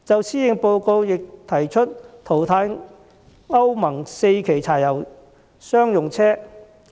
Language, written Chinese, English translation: Cantonese, 施政報告亦提出淘汰歐盟 IV 期柴油商用車。, The Policy Address has also proposed the phasing out of Euro IV diesel commercial vehicles